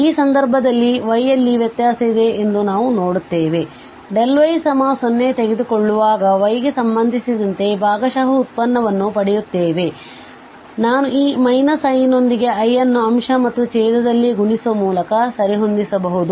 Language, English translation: Kannada, So in this case, again we will see that here the variation is in y so we will get the partial derivative with respect to y when we take delta y to 0 and that i we can adjust with this minus i by multiplying i in numerator and denominator